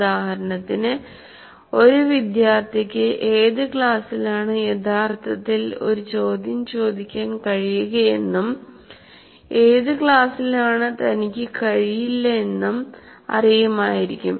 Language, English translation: Malayalam, For example, a student will know in which class he can actually ask a question and in which class he cannot